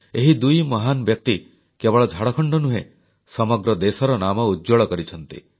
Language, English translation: Odia, These two distinguished personalities brought glory &honour not just to Jharkhand, but the entire country